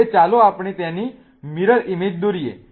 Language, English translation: Gujarati, Now let us draw its mirror image